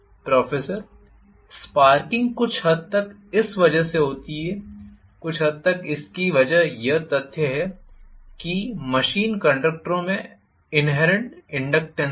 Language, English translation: Hindi, The sparking occurs to some extent because of this, to some extent because of the fact that the machine conductors have inherent inductance